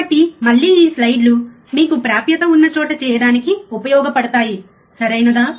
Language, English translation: Telugu, So, again this slides are with you you try to do at wherever place you have the access to work on this, right